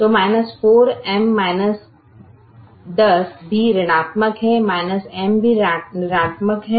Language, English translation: Hindi, so minus ten is also negative, minus m is also negative